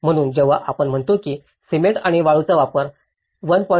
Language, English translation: Marathi, So, when we say about do not use cement and sand to be less than 1